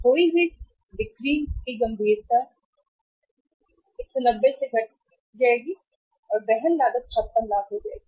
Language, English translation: Hindi, Lost sales will seriously come down to 190 and the carrying cost will be 56 lakhs